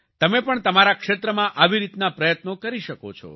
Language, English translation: Gujarati, You too can make such efforts in your respective areas